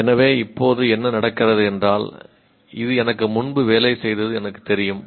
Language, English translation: Tamil, So now what happens, I know it worked for me earlier